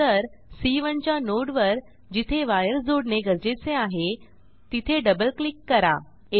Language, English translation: Marathi, Then we will double click on the node of C1 where wire needs to be connected